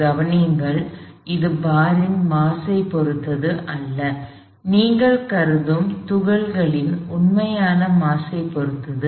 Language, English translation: Tamil, Notice that, this does not depend on the mass of the bar; it does not depend on the actual mass of the particle that you are considering